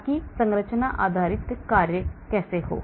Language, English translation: Hindi, so that is how the structure based works